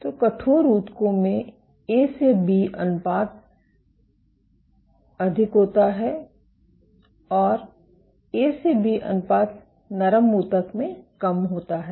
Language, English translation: Hindi, So, stiffer tissues have A to B ratio is high and softer tissues A to B ratio is low